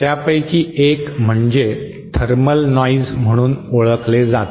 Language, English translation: Marathi, One of them is what is known as a thermal noise